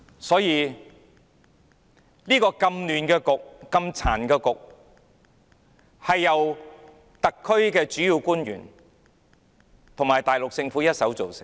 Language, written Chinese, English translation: Cantonese, 所以，這個既混亂又殘缺的局面，是由特區主要官員和大陸政府一手造成的。, Therefore this chaotic and defective situation is created entirely by the principal officials of the SAR Government and the Mainland Government